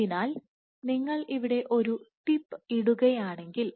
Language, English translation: Malayalam, So, if you put a tip here